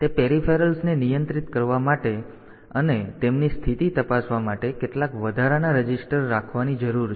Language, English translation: Gujarati, So, controlling those peripherals so, we need to have some additional registers for setting for controlling them and checking the status of them